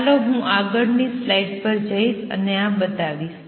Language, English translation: Gujarati, Let me go to the next slide and show this